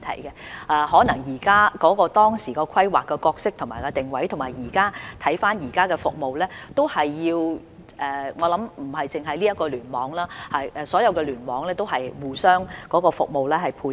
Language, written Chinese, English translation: Cantonese, 如果大家回顧醫院當初規劃的角色和定位，並考慮到現有服務，不單這個聯網，所有聯網內的醫院服務皆要互相配合。, If Members view the existing services of hospitals against their roles and positioning under initial planning they will realize that hospitals in not only this cluster but also all other clusters must dovetail with one another in service provision